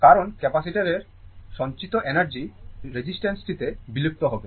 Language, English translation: Bengali, Because, energy stored in the capacitor will be dissipated in the resistor